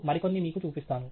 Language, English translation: Telugu, I will show you some more